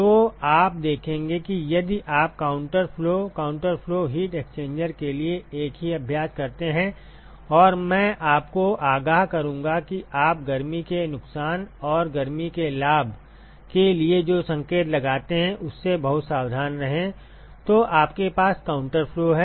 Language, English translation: Hindi, So, you will see that if you do is the same exercise for counter flow, counter flow heat exchanger and I would warn you that be very careful with the sign that you put for heat loss and heat gain, then you have counter flow